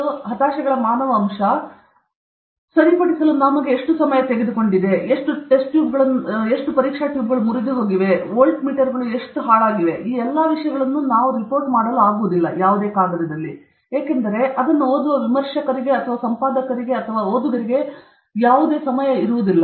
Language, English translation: Kannada, So, the human element of these frustrations, how many times the guide corrected, how long it has taken, how many test tubes are broken, how many this thing volt meters went off okay, how many times program cupped all these things are not seen, because there is no time for the reviewer or there is no time for reviewer or the editor or the reader to look at all this